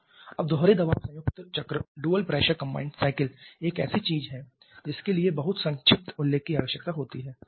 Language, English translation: Hindi, Now the dual pressure combined cycle is something that requires a very brief mention